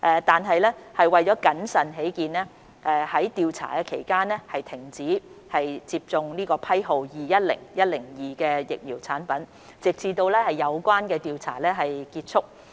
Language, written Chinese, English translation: Cantonese, 然而，為謹慎起見，在調查期間須暫停接種批號為210102的疫苗產品，直至有關調查結束。, However for the sake of prudence vaccination of the batch 210102 should be suspended until the investigation is completed